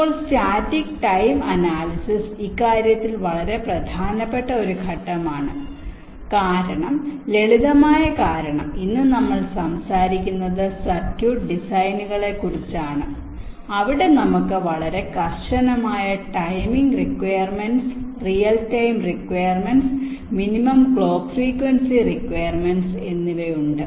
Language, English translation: Malayalam, static timing analysis is a very important step in this respect because of the simple reason is that today we are talking about circuit designs where we have very stringent timing requirements real time requirements, minimum clock frequency requirements, so on